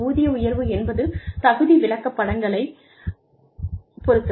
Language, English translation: Tamil, Pay raises are dependent on, merit charts